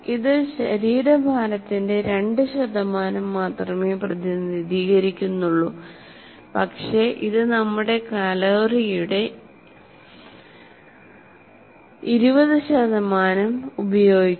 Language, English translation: Malayalam, It represents only 2% of the body weight, but it consumes nearly 20% of our calories